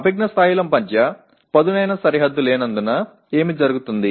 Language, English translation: Telugu, And what happens as there is no sharp demarcation between cognitive levels